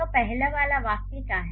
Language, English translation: Hindi, So, what is the first one